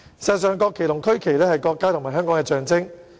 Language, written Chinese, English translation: Cantonese, 事實上，國旗和區旗是國家和香港的象徵。, As a matter of fact the national flag and the regional flag are symbols of the country and Hong Kong